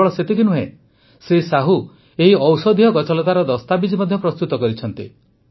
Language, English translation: Odia, Not only this, Sahu ji has also carried out documentation of these medicinal plants